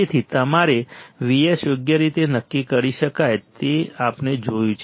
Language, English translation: Gujarati, So, that your V s can be determined correct that is what we have seen